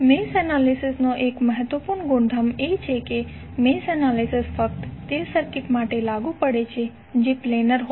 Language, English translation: Gujarati, One of the important property of mesh analysis is that, mesh analysis is only applicable to the circuit that is planer